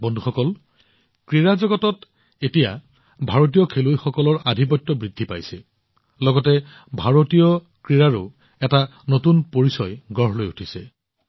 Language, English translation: Assamese, Friends, in the sports world, now, the dominance of Indian players is increasing; at the same time, a new image of Indian sports is also emerging